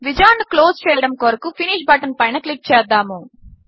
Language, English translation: Telugu, Click on the Finish button to close this wizard